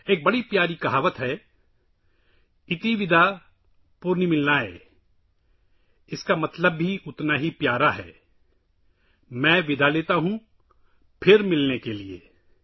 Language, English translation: Urdu, There is a very lovely saying – ‘Iti Vida Punarmilanaaya’, its connotation too, is equally lovely, I take leave of you, to meet again